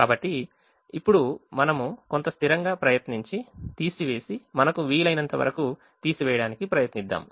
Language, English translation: Telugu, so now let us try and subtract some constant and try to subtract as much as we can